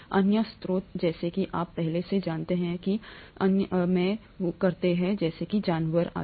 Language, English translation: Hindi, The other sources such as you know earlier there used to be other sources such as animals and so on